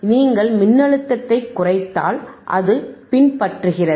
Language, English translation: Tamil, right, i If you decrease athe voltage, it is following